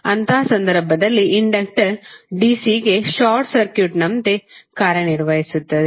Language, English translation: Kannada, In that case the inductor would act like a short circuit to dC